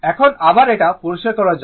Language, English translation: Bengali, Now, again let me clear it